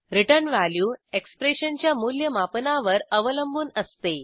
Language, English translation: Marathi, * Return value depends on the evaluation of the expression